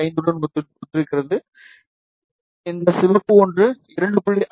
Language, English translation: Tamil, 5, and this red one is corresponding to 2